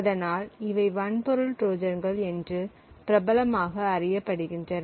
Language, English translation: Tamil, So, what exactly constitutes a hardware Trojan